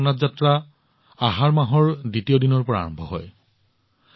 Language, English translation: Assamese, Bhagwan Jagannath Yatra begins on Dwitiya, the second day of the month of Ashadha